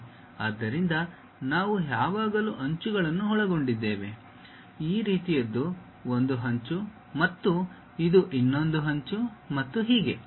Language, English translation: Kannada, So, we always be having edges; something like this is one edge, other edge and this one is another edge and so on